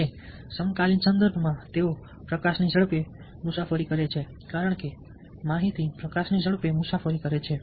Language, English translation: Gujarati, in that contemporary context, these travel at the speed of light, because information travels at the speed of light